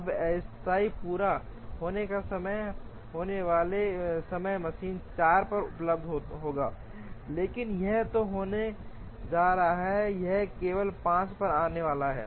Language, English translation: Hindi, Now, the tentative completion times tentative completion times will be machine is available at 4, but this is going to be there it is going to come only at 5